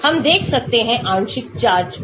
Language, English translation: Hindi, we can look at partial charges